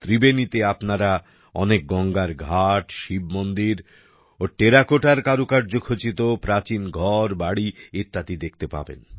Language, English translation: Bengali, In Tribeni, you will find many Ganga Ghats, Shiva temples and ancient buildings decorated with terracotta architecture